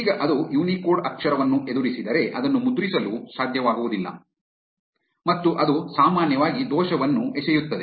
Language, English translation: Kannada, Now, if it encounters a Unicode character it is not able to print it and it usually throws an error